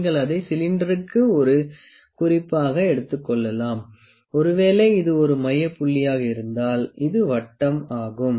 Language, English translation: Tamil, You can take it to as a reference to the cylinder, you know, if this is a centre point